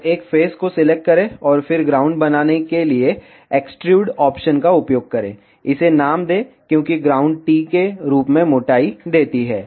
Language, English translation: Hindi, Just select one face, and then use extrude option to make ground, name it as ground give thickness as t